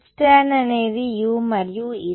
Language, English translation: Telugu, H tan is u’s and E z is